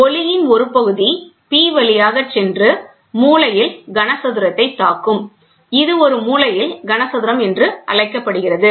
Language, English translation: Tamil, A portion of the light passes through P and strikes the corner cube, this is called as a corner cube